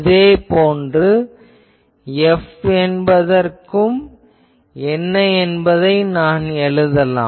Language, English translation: Tamil, Similarly, I can also write what will be F